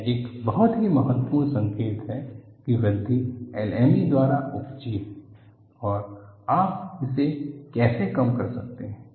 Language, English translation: Hindi, This is a very significant signal of that the growth is precipitated by LME, and how you can minimize this